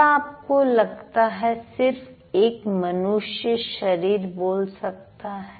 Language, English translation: Hindi, So, do you think a human body, just a human body can speak